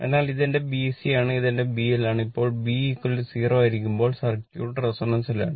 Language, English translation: Malayalam, So, this is my B C and this is my this is my B L, B is equal to, now circuit is in resonance when B is equal to 0